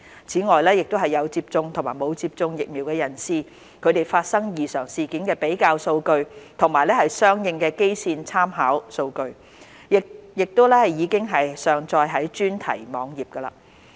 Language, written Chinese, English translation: Cantonese, 此外，有接種和沒有接種疫苗人士發生異常事件的比較數據和相應的基線參考數據，亦已上載至專題網頁。, The comparison figures of adverse events out of those with and without vaccination as well as the respective baseline reference figures have also been uploaded to the thematic website